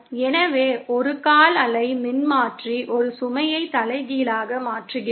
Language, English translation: Tamil, So, that means a quarter wave Transformer inverts a load to its inverse